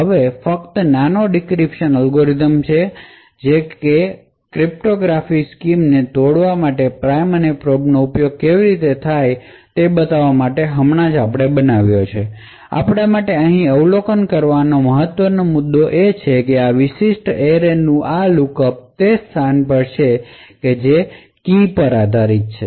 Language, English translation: Gujarati, Now this is just a toy decryption algorithm, which you have just built up to show how prime and probe can be used to break cryptographic schemes, the important point for us to observe over here is that this lookup to this particular array is on a address location which is key dependent